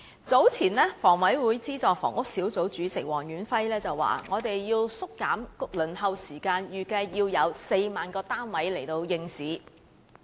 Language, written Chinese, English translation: Cantonese, 早前房委會資助房屋小組委員會主席黃遠輝表示，要縮減輪候時間，預計需要有4萬個單位應市。, Mr Stanley WONG Chairman of the Subsidised Housing Committee of HKHA has indicated earlier that to shorten the waiting time it is estimated that 40 000 units would need to be launched onto the market